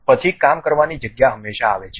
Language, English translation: Gujarati, Then the working space always be coming